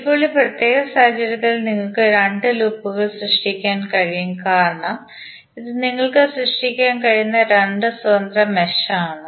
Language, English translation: Malayalam, Now, in this particular case you can create two loops because these are the two independent mesh which you can create